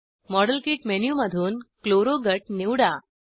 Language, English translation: Marathi, Select Chloro group from the model kit menu